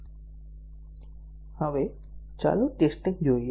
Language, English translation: Gujarati, Now, let us look at system testing